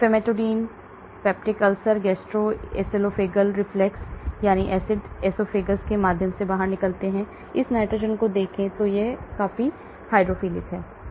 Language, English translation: Hindi, Famotidine, peptic ulcer, gastro esophageal reflux that means acids come out through the esophagus, look at this lot of nitrogen so it is quite hydrophilic